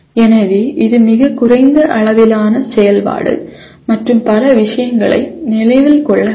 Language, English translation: Tamil, So this is a lowest level activity and we require to remember many things